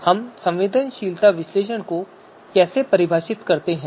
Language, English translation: Hindi, So how do we define sensitivity analysis